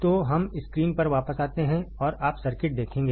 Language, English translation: Hindi, So, Let us come back on the screen and you will see the circuit